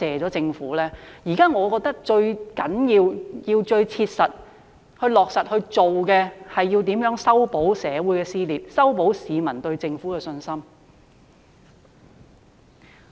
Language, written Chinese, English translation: Cantonese, 我認為現時最重要及最須切實地做的事情，是修補社會撕裂，修補市民對政府的信心。, In my opinion now the priority task which must be practically done is to mend the rifts in society and restore public confidence in the Government